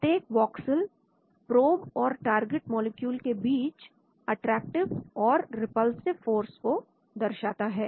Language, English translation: Hindi, Each voxel represents attractive and repulsive forces between the probe molecule and the target molecule